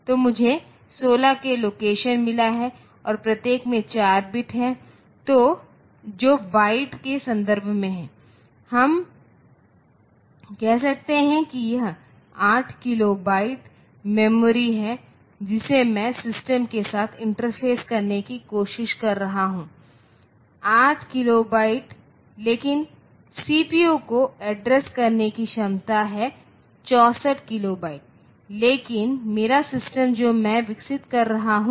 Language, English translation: Hindi, So, I have got 16 k location and each of 4 bit ok, that is in terms of bytes we can say it is 8 kilo byte of memory that I am trying to interface with the system, 8 kilobyte but the CPU has the capacity to address 64 kilobyte, but my system that I am developing